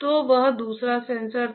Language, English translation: Hindi, So, that was the second sensor